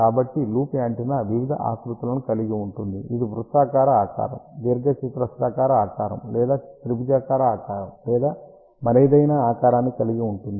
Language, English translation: Telugu, So, loop antenna can have various shapes, it can have circular shape, rectangular shape or triangular shape or any other shape